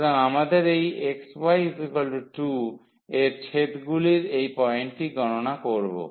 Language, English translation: Bengali, So, we need to compute this point of intersection of this x y is equal to 2